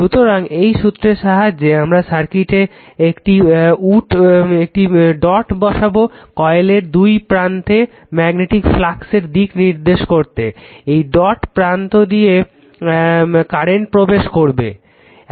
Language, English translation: Bengali, So, by this convention a dot is placed in the circuit and one end of each of the 2 magnetically coils to indicate the direction of the magnetic flux, if current enters that dotted terminal of the coil right